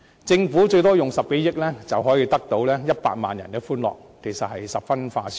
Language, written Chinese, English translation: Cantonese, 政府最多動用10多億元，便可換取100萬人的歡樂，這其實是十分划算。, This is in fact a very good deal for the Government to spend 1 billion - odd at most in exchange for the happiness of 1 million employees